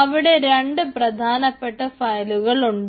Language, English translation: Malayalam, so here two main files are there